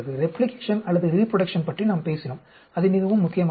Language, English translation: Tamil, We talked about replication or reproduction that is very, very important